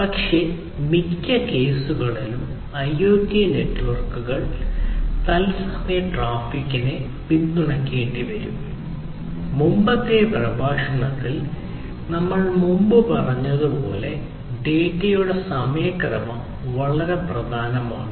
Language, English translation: Malayalam, But, in most cases IoT networks would have to support real time traffic, where the timeliness of the data as we said previously in the previous lecture is very important